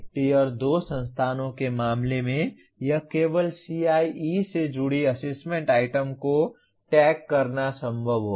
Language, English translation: Hindi, In case of Tier 2 institutions it will only be possible to tag assessment items associated with CIE